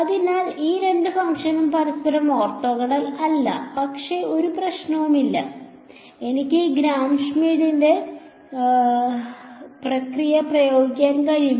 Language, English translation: Malayalam, So, these two functions are not orthogonal to each other, but there is no problem I can apply this Gram Schmidt process